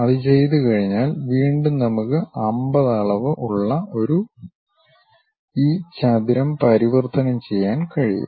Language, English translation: Malayalam, Once that is done, we can convert this rectangle which 50 dimensions, again we have